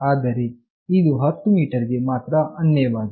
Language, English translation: Kannada, But, here you see that it is limited to 10 meters only